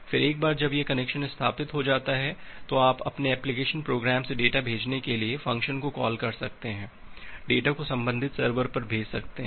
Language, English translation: Hindi, Then once this connection is established, then you can call the send function from your application program to send the data, send the data to the corresponding server